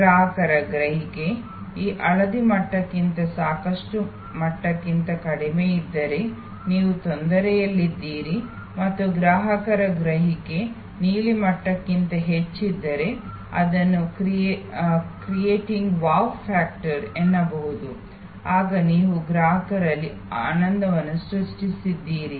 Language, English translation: Kannada, If the customer's perception is below this yellow level, the adequate level, then you are in trouble and if the customer's perception is above the blue level then you are creating wow factor, then you are creating customer delight